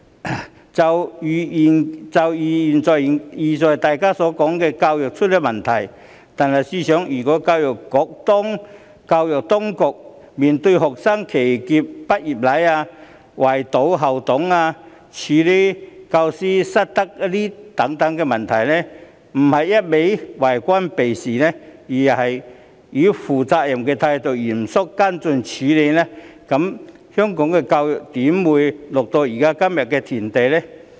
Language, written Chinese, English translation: Cantonese, 例如現在大家經常詬病的教育問題，試想教育局當初面對學生騎劫畢業禮、圍堵校董、處理教師失德等問題時，若不一個勁兒以為官避事的態度面對，而是以負責任的態度嚴肅跟進處理，香港的教育又怎會淪落到今日的田地？, Take the education problem which is often subject to criticisms now as an example when faced with such incidents as graduation ceremonies being disrupted by students school board members being surrounded and threatened and professional misconduct of teachers had Education Bureau not adopted an evasive attitude but taken actions to seriously follow up and tackle the issues in a responsible manner would the education problem in Hong Kong have deteriorated to such a pathetic state today?